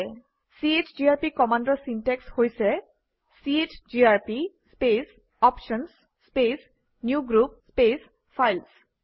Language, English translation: Assamese, The syntax for the chgrp command is chgrp space [options] space newgroup space files